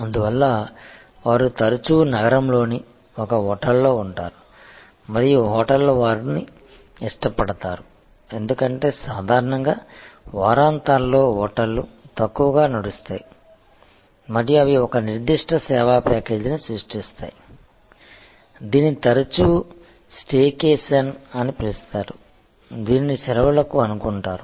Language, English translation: Telugu, So, they may take a week end often stay in a hotel in the city and hotels love them, because normally hotels run lean during the weekends and they create a particular service package, which is often called a staycation that as suppose to vacation